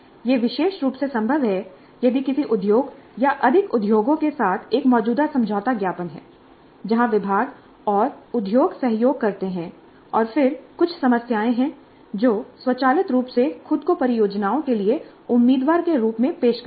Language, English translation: Hindi, This is particularly possible if there is an existing MOU with an industry or more industries whereby the departments and the industry collaborate and then there are certain problems which automatically offer themselves as the candidates for the projects